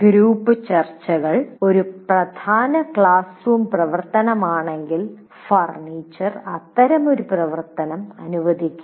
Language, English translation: Malayalam, If group discussions constitute a significant classroom activity, the furniture should permit such an activity